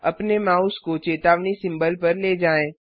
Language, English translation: Hindi, Hover your mouse over the warning symbol